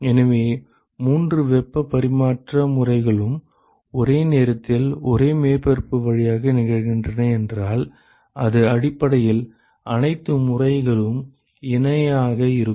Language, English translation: Tamil, So, if all three heat transfer modes are occurring simultaneously through a surface, then it is essentially all modes are in parallel